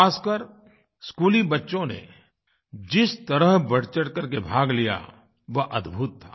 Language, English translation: Hindi, The way the school children took part in the entire endeavor was amazing